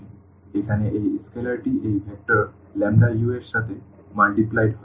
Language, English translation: Bengali, So, here this scalar lambda is multiplied to this vector u